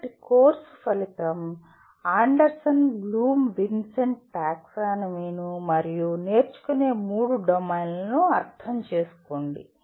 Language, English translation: Telugu, So the course outcome is: Understand Anderson Bloom Vincenti Taxonomy and the three domains of learning